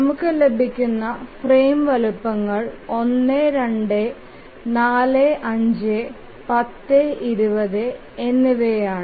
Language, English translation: Malayalam, So the frame sizes if you see here are 4, 5 and 20